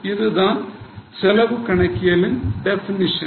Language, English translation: Tamil, Now this is a definition of cost accounting